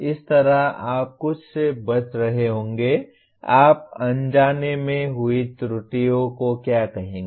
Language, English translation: Hindi, That way you will be avoiding some of the, what do you call inadvertent errors that one may commit